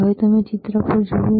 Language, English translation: Gujarati, Now, what you see on the screen